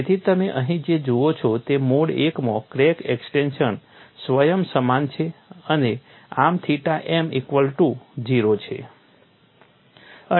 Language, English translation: Gujarati, So, what you find here is, in mode one the crack extension is self similar and thus theta m equal to 0